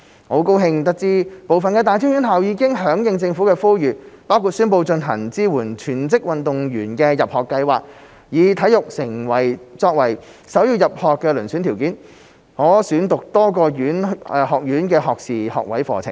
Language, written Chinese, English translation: Cantonese, 我很高興知悉部分大專院校已經響應政府呼籲，包括宣布推行支援全職運動員的入學計劃，以體育成就作為首要入學遴選條件，可選讀多個學院的學士學位課程。, I am delighted to learn that some tertiary institutions have responded to the Governments appeal including announcing the implementation of an admission scheme to support full - time athletes by recognizing their sports achievements as the principal screening criterion for admission and allowing them to choose from undergraduate programmes in a number of departments